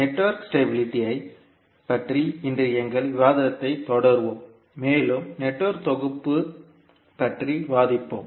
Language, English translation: Tamil, And we will continue our discussion today about the network stability and also we will discuss about the network synthesis